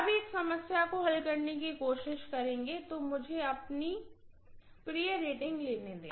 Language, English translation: Hindi, Now will try to work out one problem, so let me take my pet rating, yes